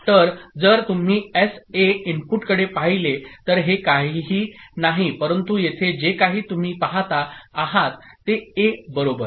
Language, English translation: Marathi, So if you look at SA input, this is nothing but whatever you see here, A, right